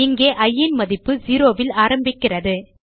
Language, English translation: Tamil, Here, the value of i starts with 0